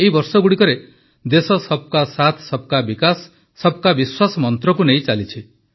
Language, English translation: Odia, Over these years, the country has followed the mantra of 'SabkaSaath, SabkaVikas, SabkaVishwas'